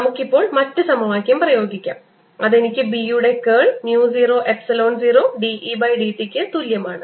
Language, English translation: Malayalam, let us now apply the other equation which gives me curl of b is equal to mu, zero, epsilon, zero, d, e, d t